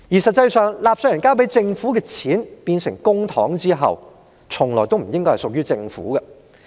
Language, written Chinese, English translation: Cantonese, 實際上，當納稅人交給政府的錢變成公帑後，這些錢從來也不應該是屬於政府的。, As a matter of fact once the money paid by taxpayers to the Government become public money it should never belong to the Government